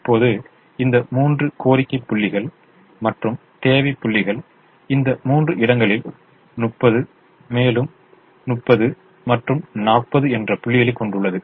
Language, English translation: Tamil, now these three are the demand points and the requirement is thirty, another thirty and forty in these three places